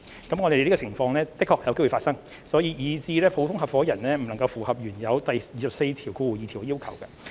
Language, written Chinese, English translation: Cantonese, 我們認同這種情況在現實中有可能發生，以致普通合夥人不能符合原有第242條的要求。, We concur that in reality this situation may happen preventing general partners from meeting the requirements under clause 242